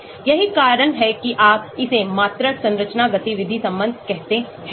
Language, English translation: Hindi, that is why you call it quantitative structure activity relationship